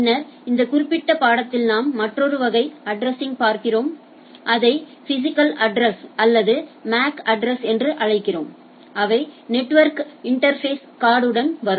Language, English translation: Tamil, Later on in this particular course we look at another type of addressing what we say physical or MAC address, which comes with your network interface card right